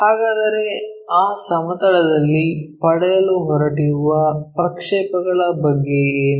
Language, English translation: Kannada, So, what about the projections we are going to get on that plane